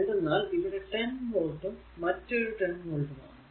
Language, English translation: Malayalam, So, across this 10 volt this is also 10 volt